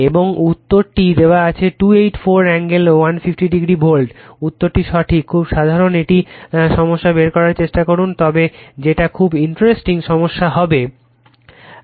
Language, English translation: Bengali, And the answer is given 284 angle 150 degree volt answer is correct you try to find out very simple problem, but very interesting problem , right